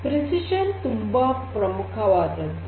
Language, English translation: Kannada, Correctness is very important